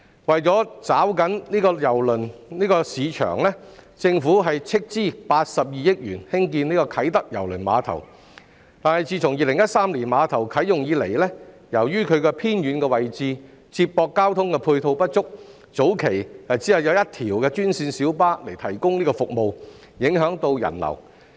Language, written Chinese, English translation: Cantonese, 為抓緊郵輪旅遊市場，政府斥資82億元興建啟德郵輪碼頭，但自2013年碼頭啟用以來，由於其位置偏遠，接駁交通配套不足，早期只有一條專線小巴提供服務，影響人流。, The Government constructed the Kai Tak Cruise Terminal KTCT at a cost of 8.2 billion in a bid to seize the cruise tourism market . However since KTCT was commissioned in 2013 the flow of people was undermined due to its remote location and inadequate ancillary transport facilities as there was only one green minibus route providing services at the very beginning